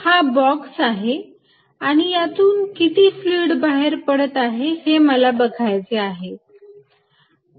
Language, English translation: Marathi, This is the box and I am interested in what fluid is going out